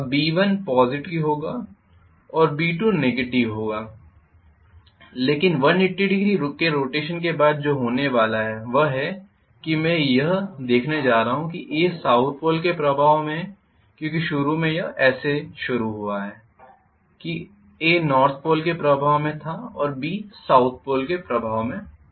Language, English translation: Hindi, Now so B1 will be positive and B2 will be negative but what is going to happen is after 180 degree rotation I am going to see that A is under the influence of South Pole because initially it is so started that A was under the influence of North Pole and B was under the influence of South Pole